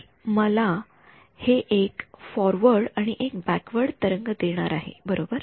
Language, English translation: Marathi, So, this is going to be give me a forward and a backward wave right